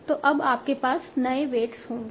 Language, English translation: Hindi, So you will have now new weights